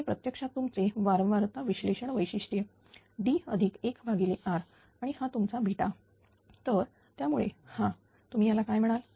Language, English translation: Marathi, So, this is actually your frequency response characteristic D plus R and this is your beta